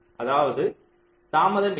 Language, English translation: Tamil, there is no delay